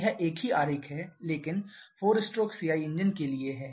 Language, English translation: Hindi, This is the same diagram, but for a 4 stroke CI engine